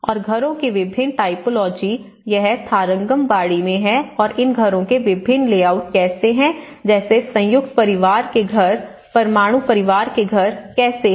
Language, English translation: Hindi, And different typologies of houses, this is in Tharangambadi and how different layouts of these houses like a joint family house, a nuclear family house